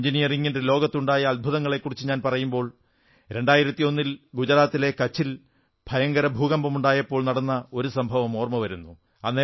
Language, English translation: Malayalam, When I talk of wonders in the Engineering world, I am reminded of an incident of 2001 when a devastating earth quake hit Kutch in Gujarat